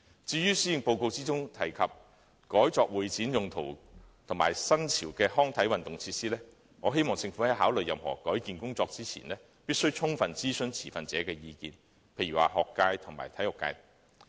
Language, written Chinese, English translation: Cantonese, 至於施政報告提及把運動場改作會展用途及提供新潮的康體運動設施，我希望政府在考慮任何改建工程前，必須充分諮詢持份者的意見，例如學界和體育界等。, As regards the proposal mentioned in the Policy Address concerning the conversion of a sports ground into convention and exhibition venues and the development of trendy and novel recreation and sports facilities I hope the Government can before considering any redevelopment projects fully consult the stakeholders such as the schools sports community and so on